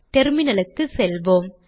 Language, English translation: Tamil, Let me go to the terminal